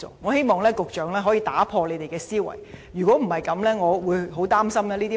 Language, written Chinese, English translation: Cantonese, 我希望局長可以打破思維，否則，我很擔心民怨只會越滾越大。, I hope the Secretary can adopt a different mindset otherwise public grievances will only continue to snowball